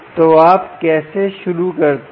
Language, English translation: Hindi, so how do you start